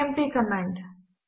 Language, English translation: Telugu, The cmp command